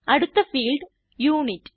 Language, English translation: Malayalam, Next field is Unit